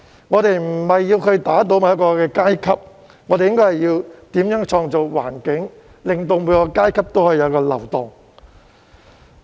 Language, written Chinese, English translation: Cantonese, 我們無意要打倒某一個階級，大家反而應該思考如何創造環境，令各階級有所流動。, It is not our intention to bring down any particular class . We should instead think about how to create an environment that offers mobility to all classes